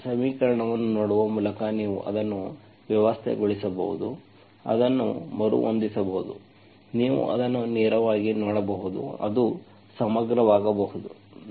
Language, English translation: Kannada, Sometimes by looking at the equation you can just arrange, rearrange it in such a way that you can just directly see that it is, it can be integrable